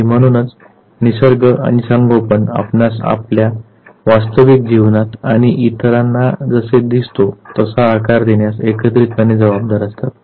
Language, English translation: Marathi, And therefore what happens the nature and the nurture they act together to shape us an individual the way we look in our real life to others